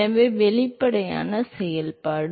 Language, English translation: Tamil, So, obviously, its the its the function of